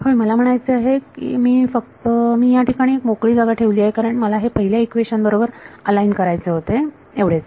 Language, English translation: Marathi, Yeah I mean I am just I left a blank here because I wanted to align it with the first equation that is all